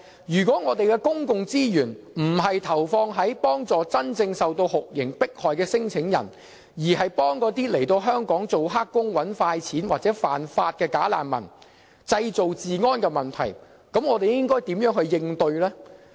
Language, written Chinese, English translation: Cantonese, 如果我們的公共資源並非投放於幫助真正受酷刑迫害的聲請人，而是幫助那些來港當"黑工"、"搵快錢"或犯法的"假難民"，造成治安問題，我們該如何應對呢？, If our public resources are not deployed on helping those claimants who are really suffering from torture but on supporting those bogus refugees who have disturbed law and order by engaging in illegal employment making quick money or committing offences how are we going to address this?